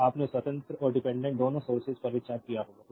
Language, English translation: Hindi, So, both your independent and dependent both sources will be considered right